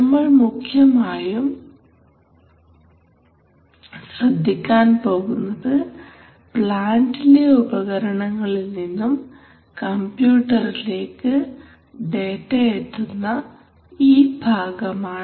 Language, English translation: Malayalam, So, we are primarily going to look at this part of the system where from various equipment on the plant, the data gets into the computer right, so